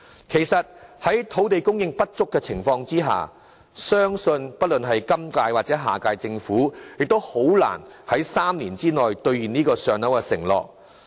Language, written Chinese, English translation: Cantonese, 其實，在土地供應不足的情況下，相信不論是今屆或下屆政府亦很難在3年內兌現這個"上樓"的承諾。, As a matter of fact it is really difficult for either the current - term Government or the next - term Government to honour its pledge of allocating PRH units to the applicants within three years given the insufficient land supply